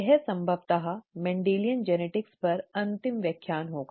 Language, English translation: Hindi, This will most likely be the last lecture on Mendelian genetics